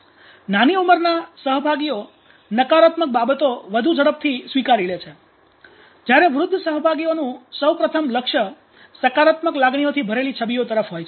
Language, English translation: Gujarati, Younger participants attend to negative images more quickly where as older participants oriented faster to images laden with positive emotions